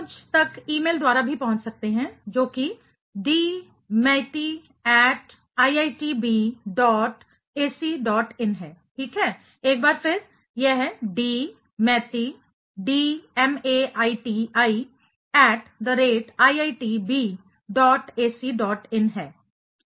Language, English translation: Hindi, You can also reach me by email that is dmaiti at iitb dot ac dot in ok; once again, it is d maiti dmaiti at the rate iitb dot ac dot in